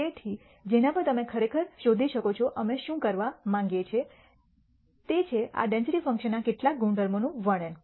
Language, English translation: Gujarati, So, on which you can actually look up what we want to do is describe some properties of these density functions